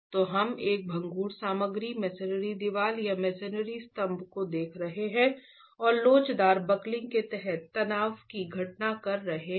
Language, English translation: Hindi, So, we are looking at a brittle material, masonry wall or masonry column and examining the phenomenon under elastic buckling itself